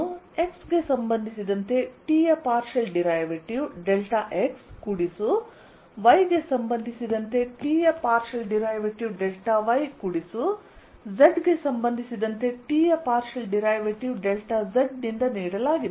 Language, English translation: Kannada, this is given as partial derivative of t with respect to x, delta x plus partial t over partial y, delta y plus partial t over partial z, delta z, which we denoted as gradient of t, dot delta l